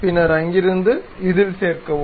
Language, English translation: Tamil, Then from there, join this one